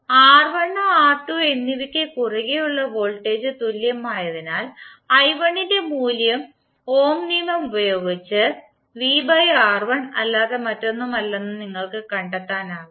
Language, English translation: Malayalam, Since voltage is same across R1 and R2 both, you can simply find out the value of i1 is nothing but V by R1 using Ohm’s law